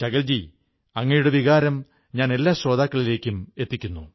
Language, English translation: Malayalam, Sakal ji, I have conveyed your sentiments to our listeners